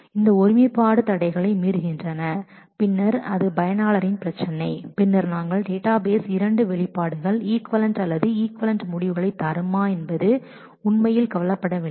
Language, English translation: Tamil, If they violate integrity constraints then it is a problem of the user then we the database really does not care if the two expressions will give equivalent or equal results